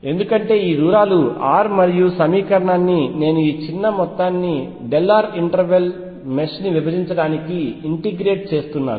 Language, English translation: Telugu, Because this distances r and I am dividing this whole thing in towards called a mesh of small delta r intervals to integrate the equation